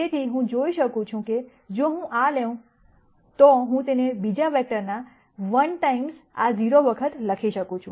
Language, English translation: Gujarati, So, I can see that if I take this I can write it as 1 times this plus 0 times the second vector